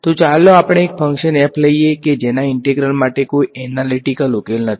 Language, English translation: Gujarati, So, let us take a function f which has no analytical solution for its integral ok